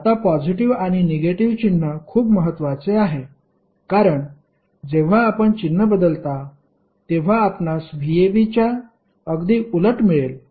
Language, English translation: Marathi, Now, positive and negative sign has its own importance because when you change the sign you will simply get opposite of v ab